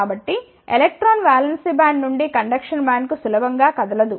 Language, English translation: Telugu, So, electron cannot move easily from valence band to the conduction band